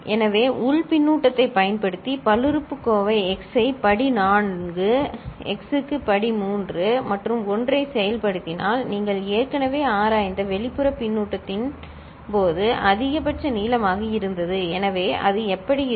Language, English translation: Tamil, So, internal using internal feedback if we are implementing the polynomial x to the power 4, x to the power 3 plus 1 which was maximal length in case of the external feedback which you have already investigated, so then how it would look like